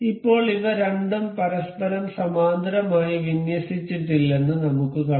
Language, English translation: Malayalam, As of now we can see these two are not aligned parallel to each other